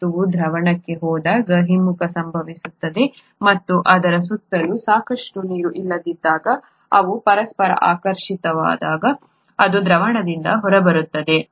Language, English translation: Kannada, The reverse happens when the substance goes into solution, and when there is not enough water surrounding it, and they attract each other, then it falls out of solution